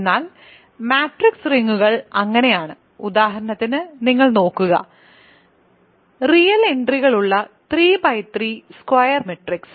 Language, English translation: Malayalam, But matrix rings are so, example you look at for example, 3 by 3 square matrices with real entries